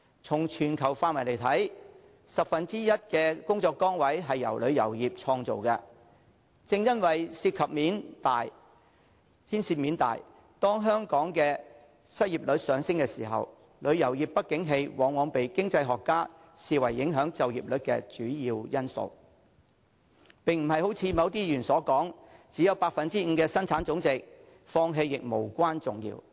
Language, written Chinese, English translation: Cantonese, 從全球範圍來看，十分之一的工作崗位由旅遊業創造，正因為牽涉面大，當香港的失業率一旦上升，旅遊業不景氣往往被經濟學家視為影響就業率的主要因素，並不像某些議員所說只有 5% 的生產總值，放棄亦無關重要。, From a global perspective one tenth of all jobs are created by the tourism industry . Since the impact is extensive when the unemployment rate of Hong Kong rises economists will regard the downturn of the tourism industry a major factor affecting the employment rate . This runs contrary to the remarks made by some Members that it will be inconsequential to sacrifice the tourism industry as it makes up only 5 % of our GDP